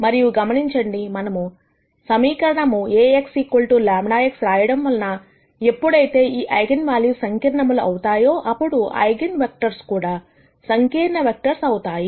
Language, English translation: Telugu, And notice that since we write the equation Ax equals lambda x, whenever this eigenvalues become complex, then the eigenvectors are also complex vectors